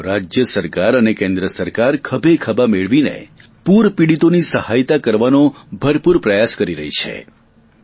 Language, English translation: Gujarati, Central government and State Governments are working hand in hand with their utmost efforts to provide relief and assistance to the floodaffected